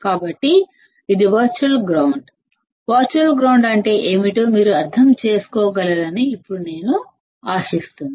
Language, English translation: Telugu, So, this is virtual ground; now I hope that you guys can understand what we mean by virtual ground